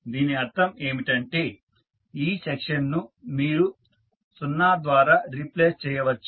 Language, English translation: Telugu, It means that this particular section you can replace by 0